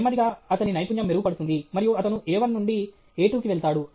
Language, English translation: Telugu, Slowly, his skill will improve, and he will go from A one to A two